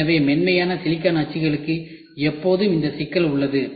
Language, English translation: Tamil, So, soft silicon molds always have this problem